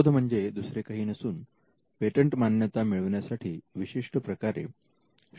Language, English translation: Marathi, Inventions are nothing but disclosures which are made in a way in which you can get a patent granted